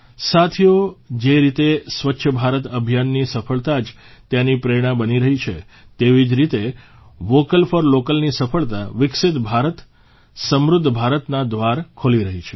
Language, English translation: Gujarati, Friends, just as the very success of 'Swachh Bharat Abhiyan' is becoming its inspiration; the success of 'Vocal For Local' is opening the doors to a 'Developed India Prosperous India'